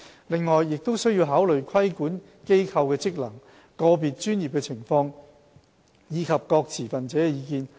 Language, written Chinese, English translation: Cantonese, 此外，亦須考慮規管機構的職能、個別專業的情況，以及各持份者的意見。, In considering the composition of the regulatory body consideration should also be given to their functions circumstances of individual professions and views of stakeholders